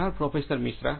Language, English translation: Gujarati, Thank you Professor Misra